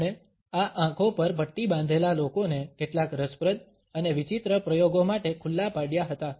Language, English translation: Gujarati, He had expose them, these blindfolded people to some interesting and rather bizarre experimentations